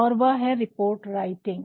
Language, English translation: Hindi, And, this is report writing